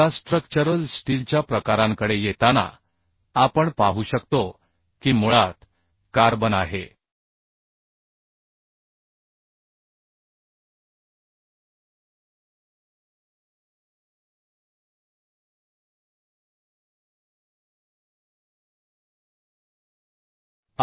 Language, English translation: Marathi, Now, coming to types of structural steel, we can see that uhh one is uhh carbon